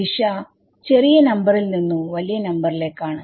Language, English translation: Malayalam, The direction is from a smaller number to a larger number